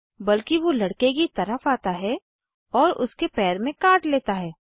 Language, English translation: Hindi, Instead it turns towards the boy and bites him on the foot